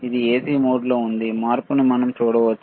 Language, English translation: Telugu, It is in AC mode, we can we can see the change, right